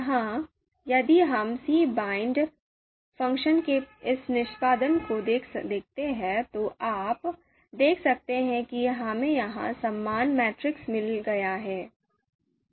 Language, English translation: Hindi, Here, if we look at this execution of cbind function, you can see we have got the similar matrix here